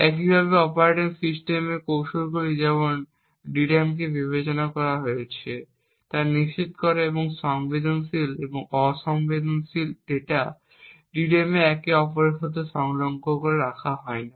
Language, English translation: Bengali, Similarly, techniques in the operating system like ensuring that the DRAM is partitioned, and sensitive and non sensitive data are not placed adjacent to each other on the DRAM